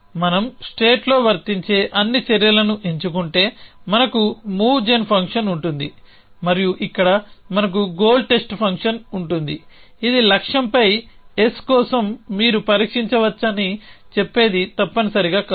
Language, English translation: Telugu, By if we just select all the actions which applicable in the state we have the move gen function and then we have the goal test function here which says that you can test for the S on goal is not essentially